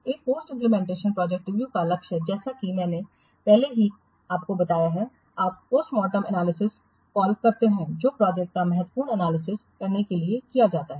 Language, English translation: Hindi, The goal of post implementation project review, as I have a little sometimes you call as post mortem analysis it is carried out to perform a critical analysis of the project